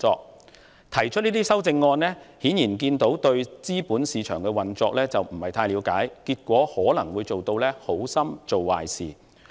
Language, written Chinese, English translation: Cantonese, 因此，議員之所以提出這些修訂議案，顯然是對資本市場的運作不太了解，結果可能會演變成"好心做壞事"。, And so Members proposed such amendments apparently because they are not quite familiar with the way the capital market operates . However this may only result in doing bad things with good intentions